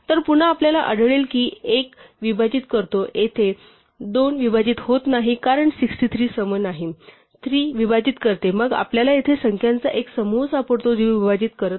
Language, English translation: Marathi, So, again we will find that 1 divides, here 2 does not divide; because 63 is not even, 3 does divides, then we find a bunch of numbers here, which do not divide